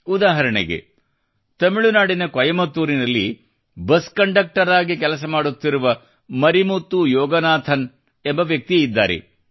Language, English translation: Kannada, For example, there isMarimuthuYoganathan who works as a bus conductor in Coimbatore, Tamil Nadu